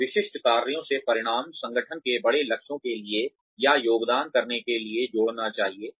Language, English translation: Hindi, So, the outcomes from specific tasks, should add up, to give a, or to contribute to the, larger goals of the organization